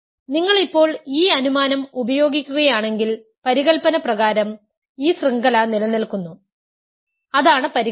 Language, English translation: Malayalam, And if you now use the assumption, by hypothesis this chain stabilizes right that is the hypothesis